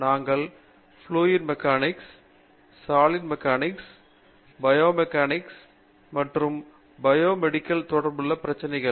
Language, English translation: Tamil, We have a group that works on Fluid Mechanics problems, another group that works on Solid Mechanics related problems and a group that works on Bio Mechanics and Bio Medical Engineering related problems